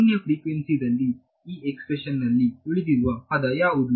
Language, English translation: Kannada, So, at zero frequency what is the term that survives in this expression